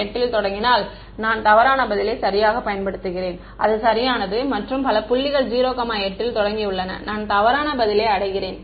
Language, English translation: Tamil, If I started 0 8 then I use the wrong answer right that is correct and many other points we have started 8 comma 1 also I reach the wrong answer